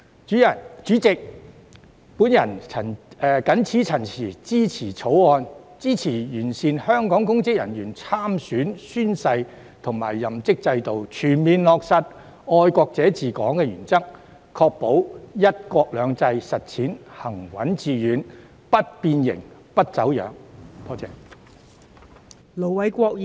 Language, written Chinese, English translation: Cantonese, 代理主席，我謹此陳辭，支持《條例草案》，支持完善香港公職人員參選、宣誓及任職制度，全面落實"愛國者治港"的原則，確保"一國兩制"實踐行穩致遠，不變形、不走樣，多謝。, With these remarks Deputy President I support the Bill and the improvement of system of Hong Kong public officers standing for elections taking oaths and assuming offices in a bid to fully implement the principle of patriots administering Hong Kong and ensure the steadfast and successful implementation of one country two systems and that the policy remains intact and undistorted . Thank you